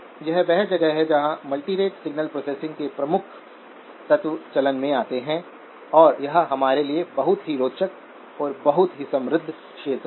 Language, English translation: Hindi, So this is where some of the key elements of the multirate signal processing come into play and make it a very interesting and a very rich area for us to work, okay